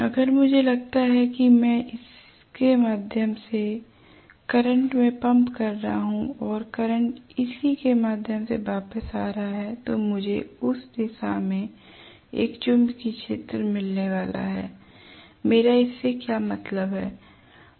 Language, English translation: Hindi, If I assume that I am pumping in the current through this and the current is returning through this whatever, I am going to get a magnetic field in this direction, what do I do mean by that